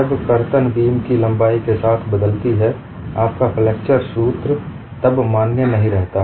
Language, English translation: Hindi, When shear varies along the length of the beam, your flexure formula is no longer value